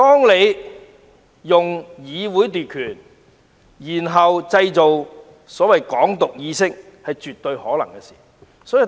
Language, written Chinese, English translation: Cantonese, 利用議會來奪權，再製造所謂的"港獨"意識，是絕對有可能的事。, It is absolutely possible to seize powers through the Council and then develop the awareness of so - called Hong Kong independence